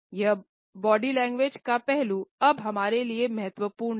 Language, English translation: Hindi, This aspect of body language is now important for us